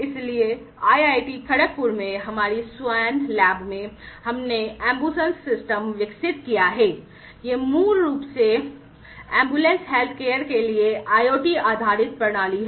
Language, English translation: Hindi, So, in our swan lab in IIT, Kharagpur, we have developed the AmbuSens system, this is basically for this is an IoT based system for ambulatory healthcare